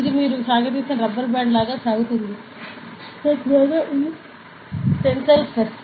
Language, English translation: Telugu, So, it will stretch right like rubber band you stretch, so that is the tensile force